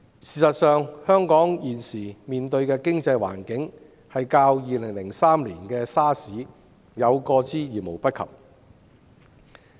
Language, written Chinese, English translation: Cantonese, 事實上，香港現時經濟環境的嚴峻，較2003年 SARS 爆發期間有過之而無不及。, As a matter of fact the economic situation in Hong Kong is seriously bad even more so than it was in 2003 during the SARS outbreak